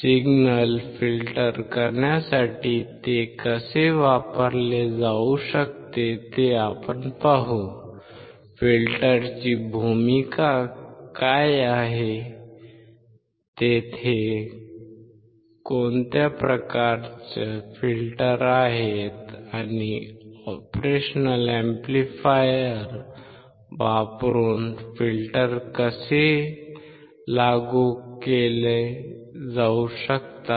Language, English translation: Marathi, We will see how it can be used to filter out signals; what is the role of filter; what kind of filters are there; and how the filters can be implemented using the operational amplifier